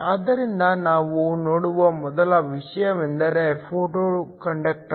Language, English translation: Kannada, So, the first thing we look at is a photo conductor